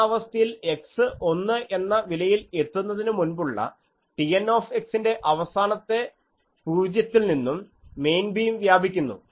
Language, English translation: Malayalam, So, from here, up to that let us say this point so, the main beam extends from the last 0 of T n x before x reaches the value of 1 up to x 1